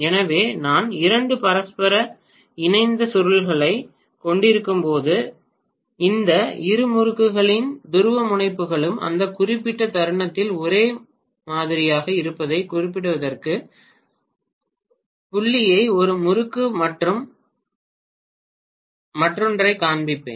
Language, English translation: Tamil, So when I have 2 mutually coupled coils I would show the dot probably one winding as well as the other to specify that the polarities of both these windings are the same at that particular instant